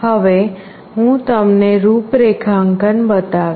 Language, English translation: Gujarati, Now I will be showing you the configuration